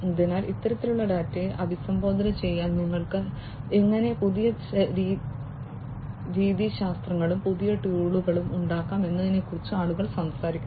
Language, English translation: Malayalam, So, people are talking about how you can have newer methodologies, newer tools in order to address this kind of data